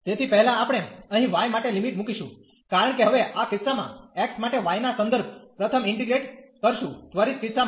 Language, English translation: Gujarati, So, first we will put the limit here for y, because we are in going to integrate first with respect to y for x for instance in this case now